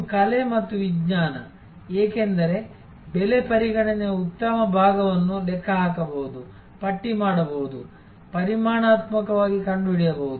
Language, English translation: Kannada, It is art and science, because a good part of the pricing consideration can be calculated, tabulated, figured out quantitatively